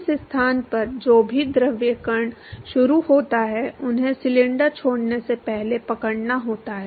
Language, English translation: Hindi, So, whatever fluid particle that is started at this location, they have to catch up, before they leave the cylinder